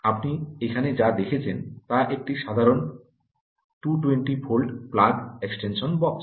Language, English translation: Bengali, what you see here is a normal two twenty volt um plug extension box